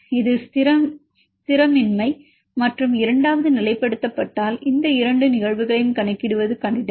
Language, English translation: Tamil, If this destabilize and the second one stabilize then it is difficult to account both the cases